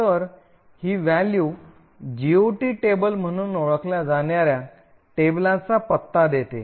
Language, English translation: Marathi, So, this value gives the address of a table known as a GOT table